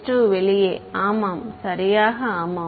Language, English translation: Tamil, s 2 outside yeah exactly yeah